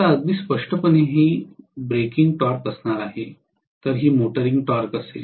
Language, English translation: Marathi, Now, very clearly this is going to be a breaking torque whereas this is going to be the motoring torque